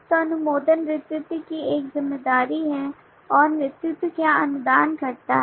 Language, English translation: Hindi, so approve is a responsibility of lead and what does the lead approve